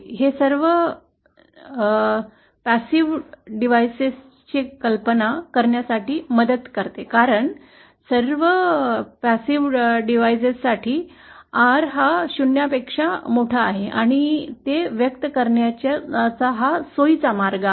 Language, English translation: Marathi, This helps us to visualise all passive devices because for all passive devices, R is greater than 0 and that is a convenient way of expressing it